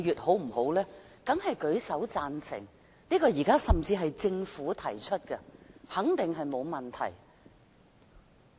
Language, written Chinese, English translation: Cantonese, 大家當然舉手贊成，這是由政府提出的，肯定沒有問題。, Members will definitely raise their hands in agreement . As the proposal is proposed by the Government there should not be any problem